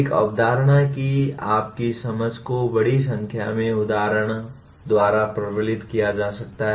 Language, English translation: Hindi, Your understanding of a concept can be reinforced by a large number of examples